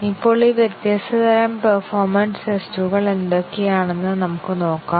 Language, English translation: Malayalam, Now let us see what are these different types of performance tests that are performed